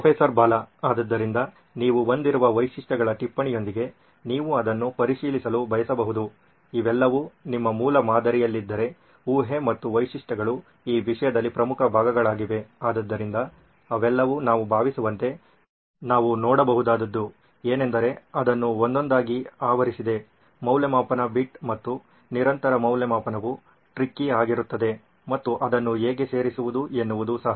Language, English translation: Kannada, So you may want to check it with the list of features you have also that if all of it is covered in your prototype, the assumption and the features these are the important parts in this case, so all of it, I think I can see that it’s been covered one by one, the evaluation bit and the continuous evaluation is going to be tricky is to how to insert that into this